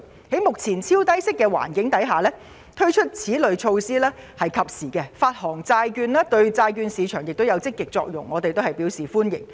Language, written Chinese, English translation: Cantonese, 在目前超低息的環境下，推出此類措施實屬及時，發行債券對債券市場亦有積極作用，我們表示歡迎。, Given the utterly low interest rate environment at present these bond issuance initiatives are timely and will have a positive impact on the bond market . We therefore welcome them